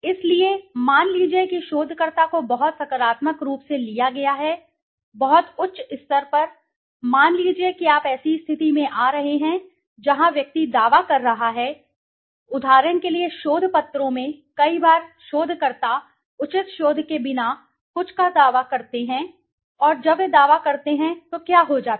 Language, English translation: Hindi, So, suppose ,suppose the researcher is taken very positively, very highly, suppose you are getting into a situation where the individual is making a claim, for example in research papers many a times researchers claim something without proper you know research backing, and when they claim then what happens